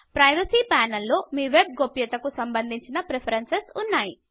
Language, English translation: Telugu, The Privacy panel contains preferences related to your web privacy